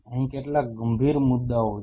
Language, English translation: Gujarati, There is some serious issues out here